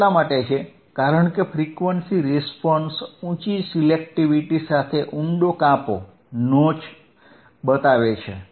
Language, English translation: Gujarati, This is because a frequency response shows a deep notch with high selectivity